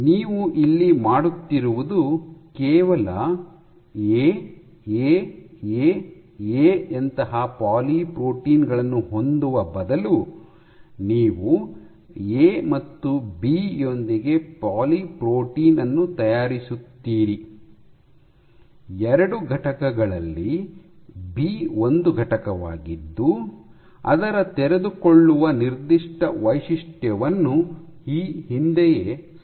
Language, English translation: Kannada, So, what you do here is instead of just having a poly protein like A A A A, you make a poly protein with A and B, 2 components where B is a component, whose unfolding signature has been previously established